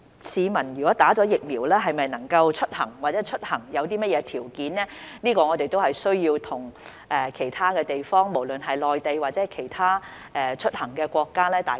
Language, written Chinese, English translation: Cantonese, 市民接種疫苗後能否出行或出行條件是甚麼，是我們需要與其他地方商討的，不論是內地或其他國家。, As regards whether members of the public can travel or what the travel restrictions will be after they get vaccinated we need to discuss with other places whether it is the Mainland or other countries